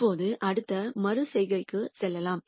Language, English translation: Tamil, Now, let us proceed to the next iteration